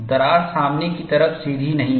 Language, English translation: Hindi, The crack front is not straight